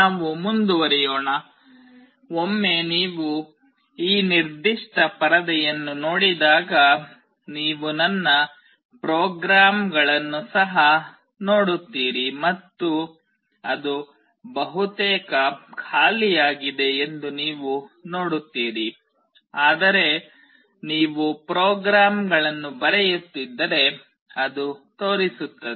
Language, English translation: Kannada, Let us move on; once you see this particular screen you will also see my programs and you see that it is almost empty, but if you keep on writing the programs it will show up